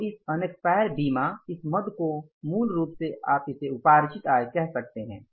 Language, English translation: Hindi, So this unexpired insurance, this item is called as basically the, you can call it as accrued incomes